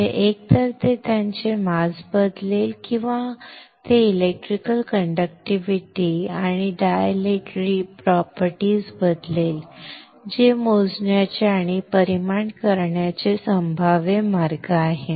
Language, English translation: Marathi, That is either it will change its mass or it will change the electrical conductivity and dilatory properties that is possible way to measure and quantify